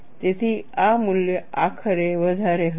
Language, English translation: Gujarati, So, this value will be eventually higher